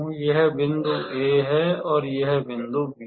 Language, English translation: Hindi, This is my point A and this is my point B